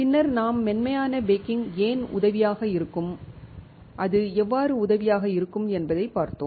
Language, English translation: Tamil, Then we have seen why soft baking can be helpful and how it is helpful